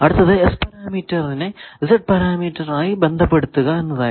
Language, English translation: Malayalam, That if you know S parameter, how to find ABCD parameter you can find this